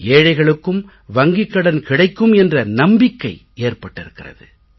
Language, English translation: Tamil, Now the poor have this faith that they too can get money from the bank